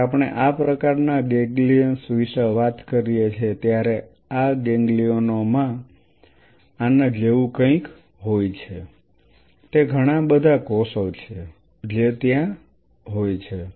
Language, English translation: Gujarati, So, you have to ensure that reaction happens of you know when we talk about these kinds of ganglions these ganglions have something like this it is a lot of cells which are sitting there